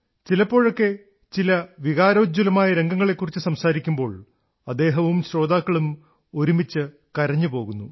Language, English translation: Malayalam, Sometimes while relating to an emotional scene, he, along with his listeners, cry together